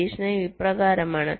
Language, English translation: Malayalam, the observation is as follows